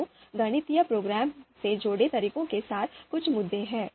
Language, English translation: Hindi, So, there are some there are some issues with the methods that are associated with mathematical programming